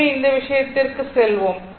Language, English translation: Tamil, So, let us go to the this thing